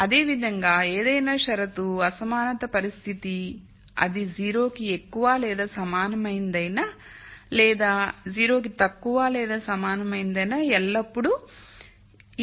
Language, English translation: Telugu, Similarly, any condition inequality condition whether it is greater than equal to 0 or less than equal to 0 I can always put it in this form